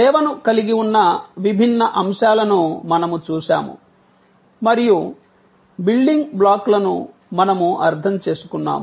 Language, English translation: Telugu, We have looked at different elements that constitute a service, we understood the building blocks